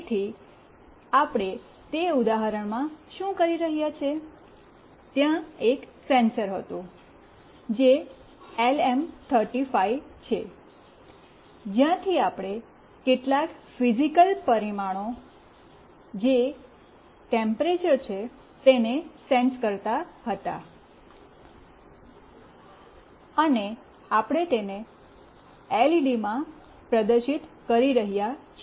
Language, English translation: Gujarati, So, what we were doing in that example, there was a sensor that is LM35 from where we were sensing some physical parameter that is temperature, and we were displaying it in the LCD